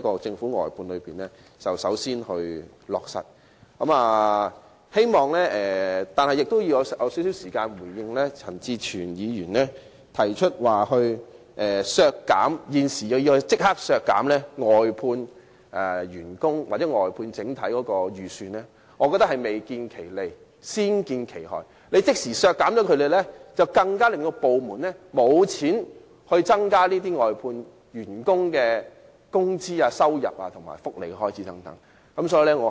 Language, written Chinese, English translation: Cantonese, 最後，我亦希望花少許時間回應陳志全議員，他提出現時立即削減外判員工或外判的整體撥款預算，我認為這建議是未見其利，先見其害，若即時削減撥款，會令部門更缺乏資源增加外判員工的工資、收入和福利開支等。, Lastly I also wish to spend a little time on responding to Mr CHAN Chi - chuen who proposed an immediate slash of the block vote estimate for outsourcing staff or outsourcing . In my opinion this proposal will bring harm long before it brings benefits . Should the funding be slashed departments will lack resources to increase staff wages revenue expenditure on welfare and so on